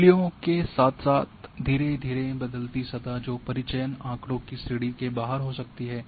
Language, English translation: Hindi, Gradually changing surface with values that may might lie outside the sample data range